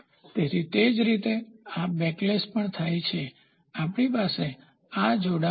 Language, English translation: Gujarati, So, same way this backlash also happens if we have in these linkages